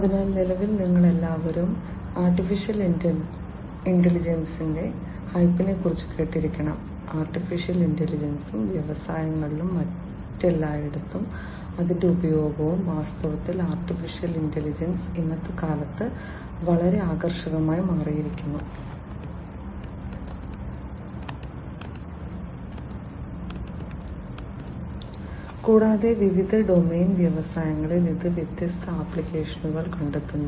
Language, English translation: Malayalam, So, at present all of you must have heard about the hype of AI: Artificial Intelligence and its use in the industries and everywhere else in fact, AI has become very attractive in the present times and it finds different applications in different domains industries inclusive